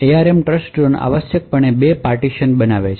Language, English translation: Gujarati, So, the ARM Trustzone essentially creates two partitions